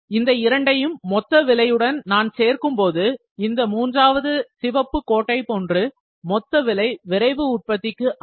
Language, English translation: Tamil, If I add this to the total cost, so this will be something like this, this is the total cost for rapid manufacturing